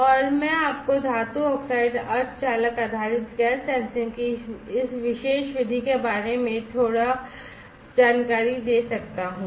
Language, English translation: Hindi, And I can brief you little bit about this particular method of metal oxide semiconductor based gas sensing